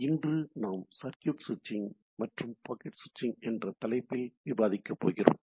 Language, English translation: Tamil, So, today we’ll be discussing on the topic of Circuit Switching and Packet Switching, right